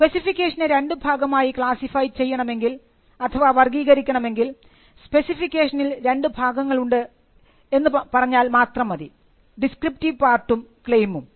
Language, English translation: Malayalam, So, if you have to classify the specification into two parts; you will just say the specification comprises of two parts; the descriptive part and the claim